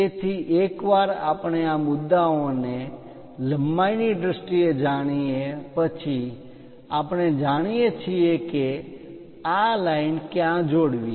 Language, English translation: Gujarati, So, once we know these points in terms of lengths, we know where to where to join this line